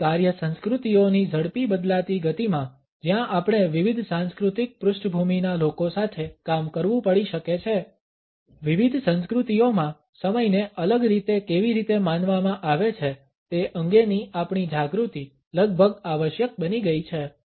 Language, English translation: Gujarati, In the fast changing pace of our work cultures where we may have to work with people from different cultural background, our awareness of how time is perceived differently in different cultures has become almost a must